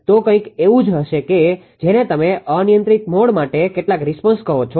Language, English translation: Gujarati, So, ah something like your what you call some responses ah for uncontrol mode, right